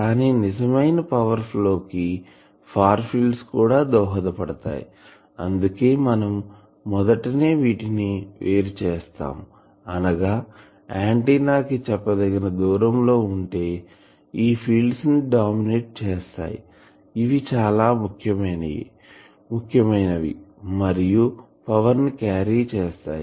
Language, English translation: Telugu, But real power flow that is contributed by far field that is why from the very beginning we have separated them; that means, at a certain distance from the antenna, whatever fields dominate, they are actually important they carry power others do not carry any power